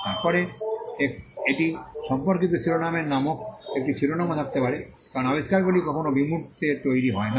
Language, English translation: Bengali, Then, it may also have a heading called description of related art because inventions are never created in abstract